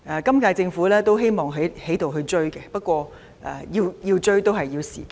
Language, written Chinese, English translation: Cantonese, 今屆政府也希望急起直追，不過也需要若干時間。, The current - term Government is anxious to catch up but this is going to take some time